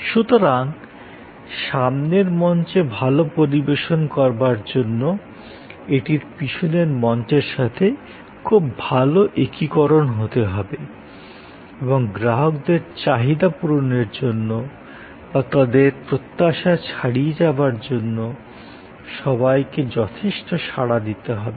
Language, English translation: Bengali, So, to serve well on the front stage, that has to be a very good integration with the back stage and they have to be all working quite responsively to meet customers need adequately or preferably beyond his or her expectation